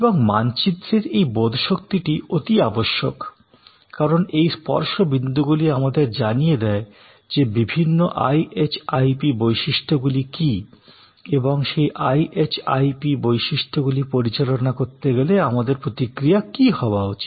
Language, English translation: Bengali, And this understanding of this map is necessary, because these touch points are understanding of this blocks will tell us that, what are the different IHIP characteristics and what should be our responses to manage those IHIP characteristics